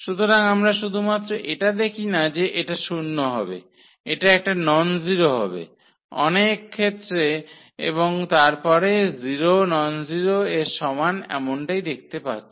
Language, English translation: Bengali, So, having so, we cannot; we cannot just observe that this will be 0 this will be a non zero number as well in many situation and then 0 is equal to something nonzero we are getting